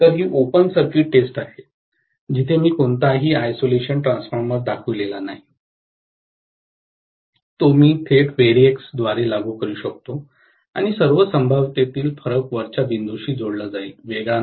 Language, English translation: Marathi, So, this is the open circuit test, where I have not shown any isolation transformer, what I could have shown is directly apply it through a variac and the variac in all probability will be connected to the top point, no isolation